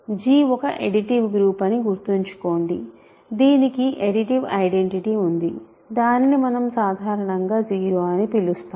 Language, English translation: Telugu, So, remember G is an additive group, it has an additive identity which we usually call 0